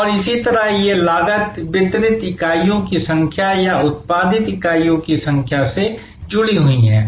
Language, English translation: Hindi, So, these costs are linked to the number of units delivered or number of units produced